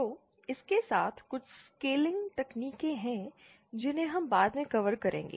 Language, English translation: Hindi, So, with that, there are some scaling techniques which shall cover later